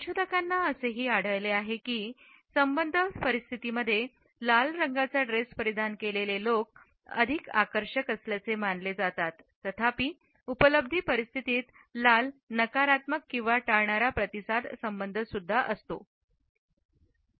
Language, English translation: Marathi, Researchers have also found that in affiliative situations, people who are attired in red color are perceived to be more attractive, however in achievement situations red is associated with negative or avoidant responses